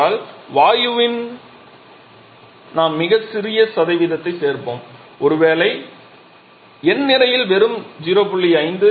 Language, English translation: Tamil, Seeding means in the gas we add a very small percentage maybe just 0